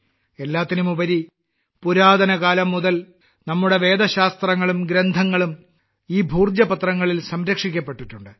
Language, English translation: Malayalam, After all, since ancient times, our scriptures and books have been preserved on these Bhojpatras